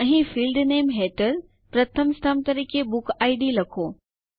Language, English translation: Gujarati, Here, type BookId as the first column under Field Name